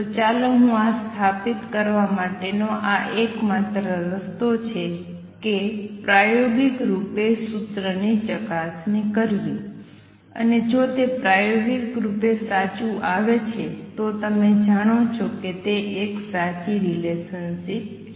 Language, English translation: Gujarati, So, let me write this the only way to establish this is to verify the formula experimentally and if it comes out true experimentally then you know it is a relationship which is true